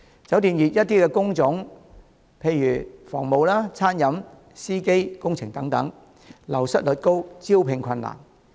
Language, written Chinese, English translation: Cantonese, 酒店業的一些工種，例如房務、餐飲、司機、工程等，流失率高，招聘困難。, Some types of jobs in the hotel industry have high turnover rates and recruitment difficulties